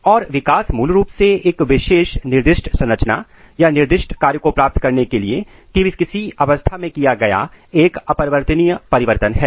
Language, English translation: Hindi, And development is basically irreversible change in the state to achieve a particular specified structure or specified function